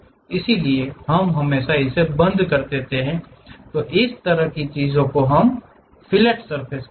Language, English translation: Hindi, So, we always round it off, such kind of things what we call fillet surfaces